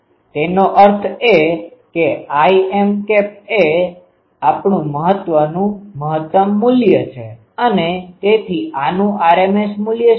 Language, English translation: Gujarati, That means I m is our maximum value and so, what is the rms value of this